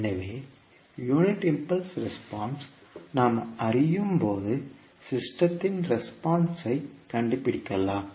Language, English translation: Tamil, So we can find out the response of the system when we know the unit impulse response